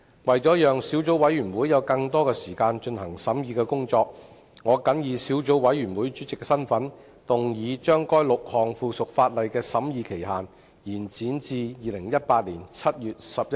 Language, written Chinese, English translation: Cantonese, 為了讓小組委員會有更多時間進行審議工作，我謹以小組委員會主席的身份，動議將該6項附屬法例的審議期限，延展至2018年7月11日。, In order to allow the Subcommittee more time for scrutiny I move in my capacity as the Subcommittee Chairman that the scrutiny period of the six pieces of subsidiary legislation be extended to 11 July 2018